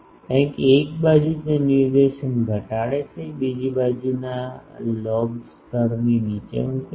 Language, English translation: Gujarati, Because one side it reduces directivity, another side is puts the sidelobe level down